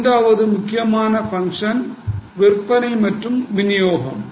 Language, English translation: Tamil, The third important function is selling and distribution